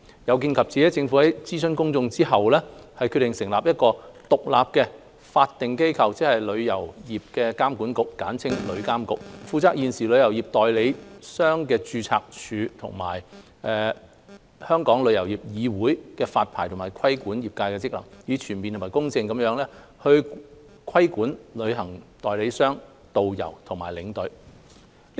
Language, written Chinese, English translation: Cantonese, 有見及此，政府於諮詢公眾後，決定成立一個獨立的法定機構，即旅遊業監管局，負責現時旅行代理商註冊處和香港旅遊業議會的發牌和規管業界職能，以全面及公正地規管旅行代理商、導遊和領隊。, Under the circumstances the Government has after conducting public consultation decided to establish an independent statutory body ie . a Travel Industry Authority TIA to take up the licensing and trade regulatory roles from the Travel Agents Registry TAR and the Travel Industry Council of Hong Kong TIC to comprehensively and fairly regulate travel agents tourist guides and tour escorts